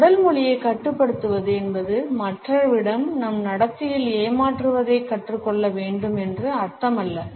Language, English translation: Tamil, Controlling our body language does not mean that we have to learn to be deceptive in our behaviour towards other people